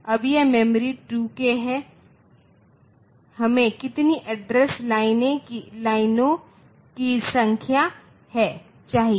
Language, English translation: Hindi, Now this memory is 2 k so how what is the number of address lines that we need